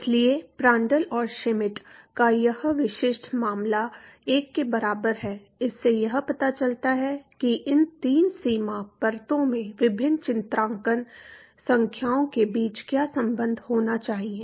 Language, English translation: Hindi, So, this specific case of Prandtl and Schmidt equal to 1, this provide an idea as to what should be the relationship between the different characterizing numbers in these three boundary layer